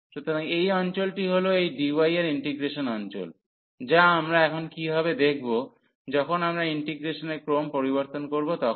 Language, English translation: Bengali, So, this region is the order is the region of the integration this d, which we have to now see when we change the order of integration what will happen